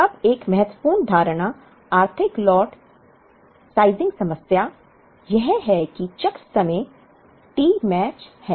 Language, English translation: Hindi, Now, one important assumption in the economic lot sizing problem is that the cycle times T match